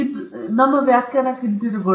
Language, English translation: Kannada, Now, coming back to our definition